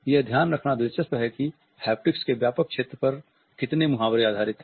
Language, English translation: Hindi, It is interesting to note how so many idioms are based on the wider area of haptics